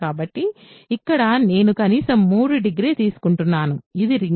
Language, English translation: Telugu, So, here I am taking degree at least 3, is this a ring